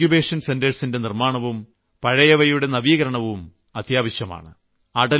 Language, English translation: Malayalam, Creation of new Incubation Centres is essential just as it is necessary to strengthen the older Incubation Centres